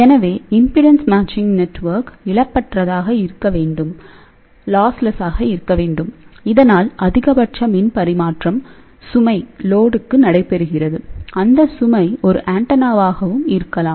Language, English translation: Tamil, So, this impedance matching network should be lossless so that the maximum power transfer takes place to the load or it could be an antenna